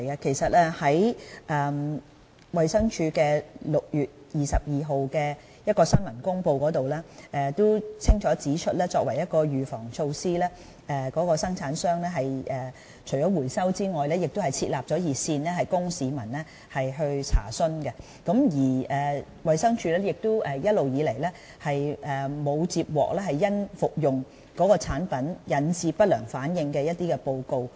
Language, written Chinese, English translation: Cantonese, 其實，衞生署在6月22日發出的新聞公告中，已經清楚指出作為預防措施，供應商除了進行回收外，亦設立了熱線供市民查詢，而衞生署亦從沒接獲有人因服用該產品而引致不良反應的報告。, In fact in the press release on 22 June DH already highlighted that as a precaution the supplier decided to recall the product in addition to setting up a hotline to answer public enquiries . DH has never received any report about anyone having adverse drug reactions due to taking that product